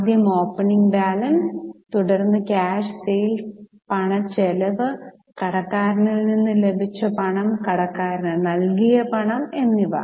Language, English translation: Malayalam, So, first one was opening balance of cash, then cash sales, then cash expenses, cash received from data and cash paid to creditor